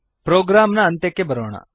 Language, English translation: Kannada, Coming to the end of the program